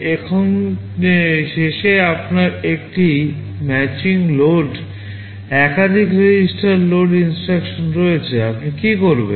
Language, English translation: Bengali, Now at the end you have a matching load multiple register load instruction, what you do